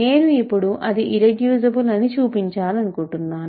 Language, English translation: Telugu, So, now, I want to show that it is irreducible